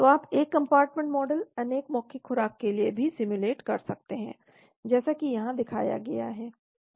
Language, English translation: Hindi, So you can simulate the one compartment model with oral multiple dose also as seen here